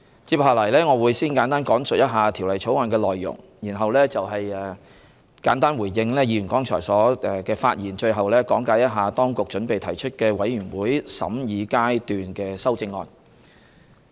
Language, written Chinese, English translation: Cantonese, 接下來，我會先簡單講述《條例草案》的內容，然後簡單回應議員剛才的發言，最後講解當局準備提出的委員會審議階段修正案。, Next I will give a brief account of the content of the Bill before responding to Members remarks earlier . Lastly I will explain the Committee stage amendments CSAs proposed by the Administration